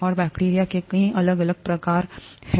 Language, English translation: Hindi, And, there are so many different types/ kinds of bacteria